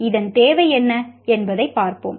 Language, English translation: Tamil, Let us look at what is the need for this